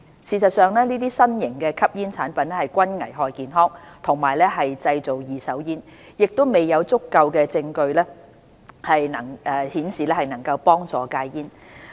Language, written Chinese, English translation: Cantonese, 事實上，這些新型吸煙產品均危害健康和製造"二手煙"，亦未有足夠證據顯示能幫助戒煙。, In fact these new smoking products are all harmful to health and produce second - hand smoke . There is also a lack of sufficient evidence to prove that they can help quit smoking